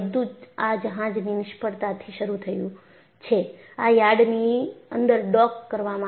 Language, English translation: Gujarati, And it all started from the failure of this ship, and this was docked in the yard